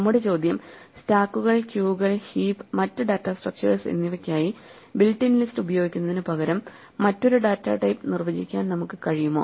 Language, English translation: Malayalam, Our question is, that instead of using the built in list for stacks, queues and heaps and other data structures can we also defined a data type in which certain operations are permitted according to the type that we start with